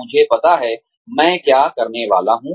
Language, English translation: Hindi, I know, what I am supposed to do